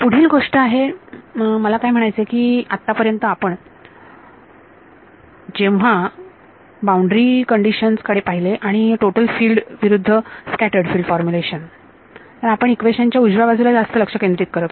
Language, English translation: Marathi, The next thing is I mean so far when we looked at the boundary conditions and the total field versus scattered field formulation, we were paying a lot of attention to the right hand side, but now it is time to also take a look at the left hand side right